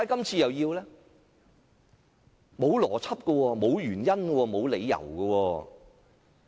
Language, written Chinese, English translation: Cantonese, 沒有邏輯，沒有原因，沒有理由。, There is no logic reasons or justifications